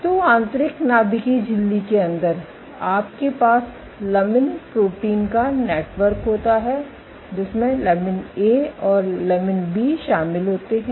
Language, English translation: Hindi, So, inside the inner nuclear membrane you have the network of lamin proteins these include lamin A and B and outside